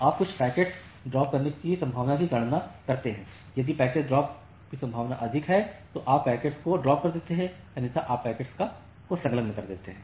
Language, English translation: Hindi, So, you calculate some packet dropping probability; if the packet drop probability is high you drop the packet otherwise you enqueue the packet